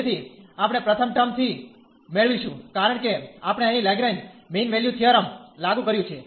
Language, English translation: Gujarati, So, we will get from the first term, because we have applied the Lagrange mean value theorem here